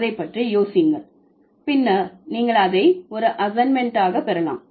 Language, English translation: Tamil, So, think about it, you might get it as an assignment later